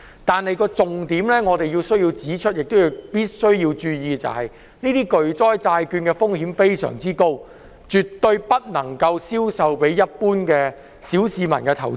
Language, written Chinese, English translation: Cantonese, 但是，我們需要指出重點讓市民知道，巨災債券的風險非常高，絕對不能銷售給一般投資者和小市民。, However we need to point out the important facts and let the public know that the risk of catastrophe bonds is very high . They should not be sold to common investors and the general public